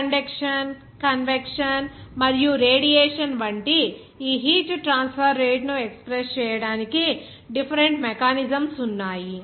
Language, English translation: Telugu, There are different mechanism of expressing this heat transfer rate like conduction, convection and radiation